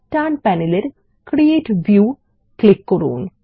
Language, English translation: Bengali, Let us click on Create View on the right panel